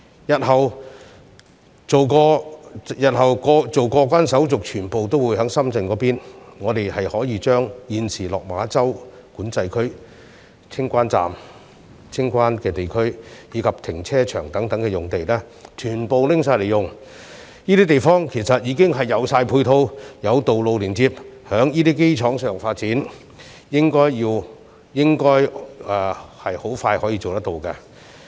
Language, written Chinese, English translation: Cantonese, 日後，所有過關手續均會在深圳進行，所以可將現時的落馬洲管制站、清關區及停車場等用地全部用作發展，因為這些用地已有配套及連接道路，如能在這基礎上進行發展，應很快可看到成效。, Given that all clearance procedures will be conducted in Shenzhen in the future lands currently used for accommodating the Lok Ma Chau Control Point its clearance areas and parking lot can all be used for future development . As supporting facilities and connecting roads are already available the development based on such a solid foundation should produce results very soon